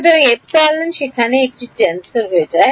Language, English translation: Bengali, So, epsilon over there becomes a tensor that